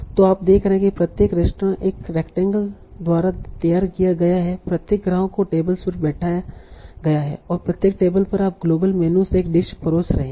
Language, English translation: Hindi, So, you are seeing each restaurant is modeled by a rectangle, each customer are seated at the tables, and each table you are serving a dish from a good global menu